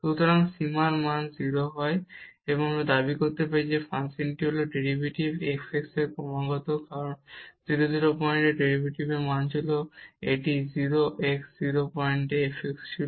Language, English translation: Bengali, If this limit is equal to 0, we can claim that the function is the derivative f x is continuous, because this was the derivative value at 0 0 point, this was f x at 0 0 point